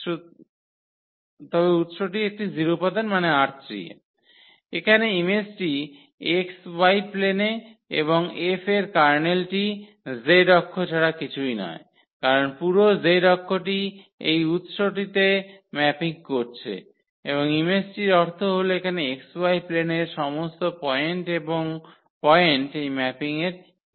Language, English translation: Bengali, So, here the image is the xy plane and the kernel of F is nothing but the z axis because the whole z axis is mapping to this origin and the image means here that all the points in xy plane that is the image of this mapping